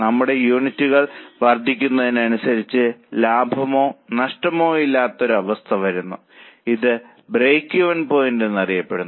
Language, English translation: Malayalam, As our units increase, a point comes where there is neither profit nor loss that is known as break even point